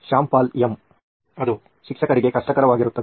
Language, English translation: Kannada, Shyam Paul M: That will be difficult for the teacher